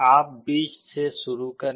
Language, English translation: Hindi, You start with the middle